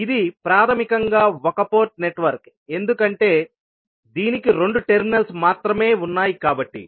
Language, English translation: Telugu, So, this is basically a one port network because it is having only two terminals